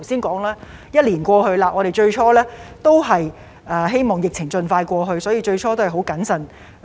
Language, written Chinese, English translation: Cantonese, 我們最初希望疫情盡快過去，因此行事也是很謹慎。, At first we exercised great caution in the hope that the epidemic would be over very soon